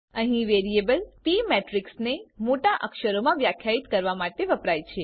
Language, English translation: Gujarati, Here variable P used to define matrix is in upper case